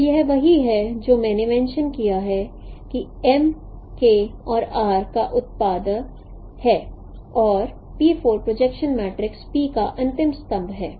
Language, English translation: Hindi, So, this is what I mentioned, M is the product of K and R and P4 is the last column of the projection matrix P